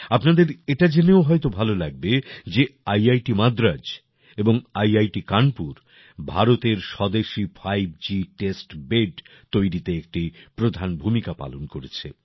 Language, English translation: Bengali, You will also be happy to know that IIT Madras and IIT Kanpur have played a leading role in preparing India's indigenous 5G testbed